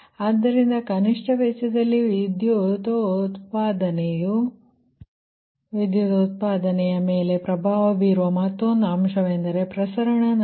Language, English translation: Kannada, so another factor that influence the power generation at minimum cost is a transmission loss, right